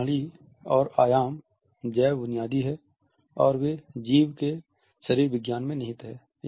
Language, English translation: Hindi, These systems and dimensions are bio basic and they are rooted in physiology of the organism